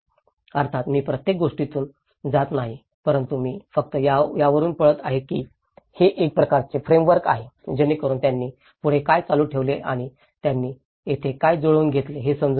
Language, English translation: Marathi, Of course, I am not going through each and everything but I am just flipping through that this is a kind of framework to set up, to get an understanding of what they have continued and what they have adapted here